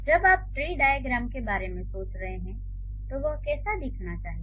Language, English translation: Hindi, So, that is how it should look like when you are thinking about a tree diagram